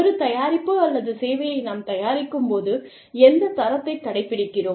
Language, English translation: Tamil, When we produce, a product or a service, which standards, do we adhere to